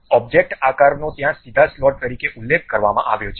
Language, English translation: Gujarati, The object shape is clearly mentioned there as straight slot